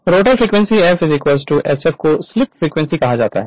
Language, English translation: Hindi, The rotor frequency F2 is equal to sf is called the slip frequency